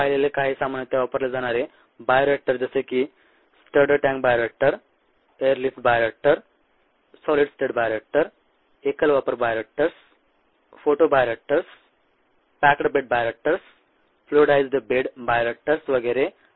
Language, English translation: Marathi, some commonly used bioreactors we saw, such as the stirred tank bioreactor, the air lift bioreactor, the solid state bioreactor, ah, single used bioreactors, photo bioreactors, packed bed bioreactors, fluidized spread bioreactors, and so on